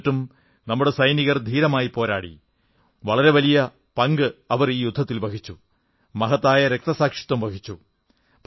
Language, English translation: Malayalam, Despite this, our soldiers fought bravely and played a very big role and made the supreme sacrifice